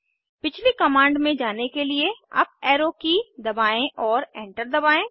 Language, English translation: Hindi, Press the up arrow key to get the previous command and Press Enter